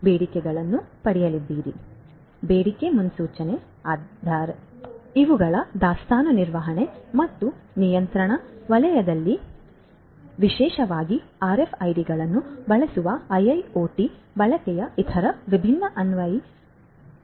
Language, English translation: Kannada, So, demand forecasting, so these are some of these different other applications of the use of IIoT in the inventory management and control sector and particularly using RFIDs